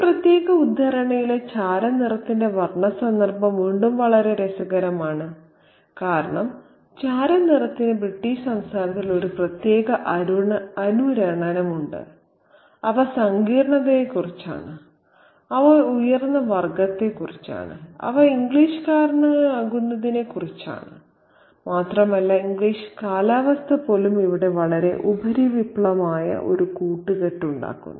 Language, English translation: Malayalam, Again, the color context of the gray in this particular excerpt is very interesting because gray has a particular set of resonances in British culture and they are about sophistication, they are about superior class and they are about being English and even the weather, to make a very superficial association here, the English weather, the English weather is supposed to be of a great tone